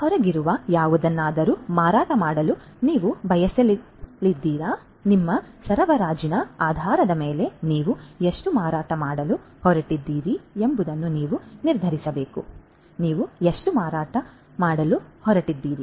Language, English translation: Kannada, So, because you do not want to you know sell anything that is out there right, you need to determine that based on your supply how much you are going to sell; how much you are going to sell